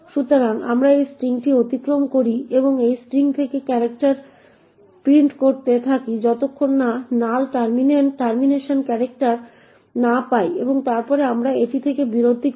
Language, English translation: Bengali, So, we pass through this string and continue to print characters from the string until we obtain the null termination character and then we break from this